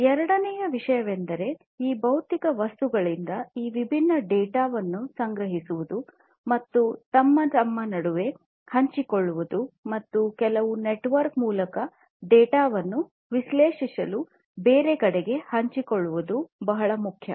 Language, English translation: Kannada, The second thing is that it is very important to collect these different data from these physical objects and share between themselves between themselves and also share the data through some network to elsewhere where it is going to be analyzed